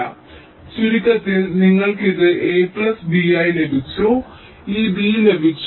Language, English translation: Malayalam, ok, so to summarize, you have got this as a plus b, you have got this b